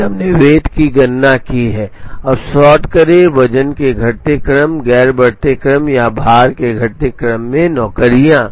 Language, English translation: Hindi, And then we have computed the weights, now sort the jobs in decreasing order of the weight, non increasing order or descending order of the weights